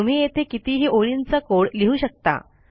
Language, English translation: Marathi, I can put as much code here as I want